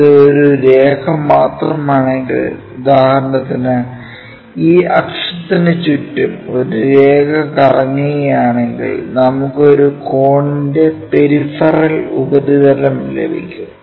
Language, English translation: Malayalam, If, it is just a line for example, only a line if we revolve around this axis, we get a peripheral surface of a cone